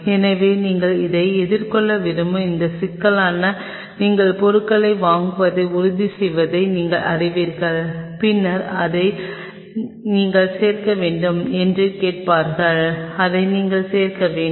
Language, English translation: Tamil, So, this problem you want going to face with this they will just you know you ensure that you buy the stuff and then they will ask you have to add up this oh you have to add up this